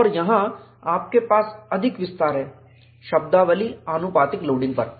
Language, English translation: Hindi, And here, you have a little more expansion on the terminology proportional loading